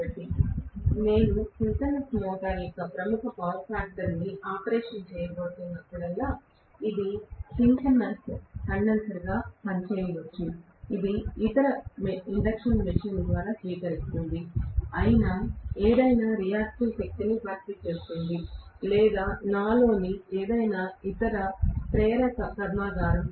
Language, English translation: Telugu, So, whenever I am going to have a leading power factor operation of the synchronous motor it may work as a synchronous condenser, which will compensate for any reactive power drawn by any of the other induction machines and so on, or any other inductor in my factory